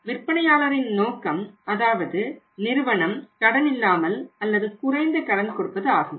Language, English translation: Tamil, Now the objective of the seller is that the company want give either no credit or the minimum credit